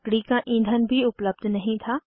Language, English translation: Hindi, Fuel wood was also unavailable